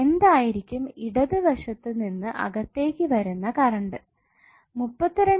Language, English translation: Malayalam, So what would be the current coming inside from left